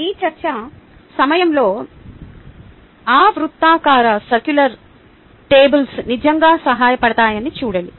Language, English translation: Telugu, see, those circular tables are really helpful during this discussion